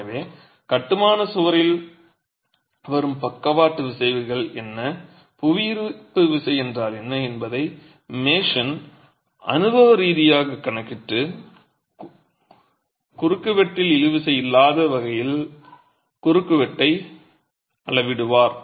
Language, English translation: Tamil, So, a Mason would make an empirical calculation of what could be the lateral forces coming onto the structural wall, what's the gravity force and then dimension the cross section such that you don't have tension in the cross section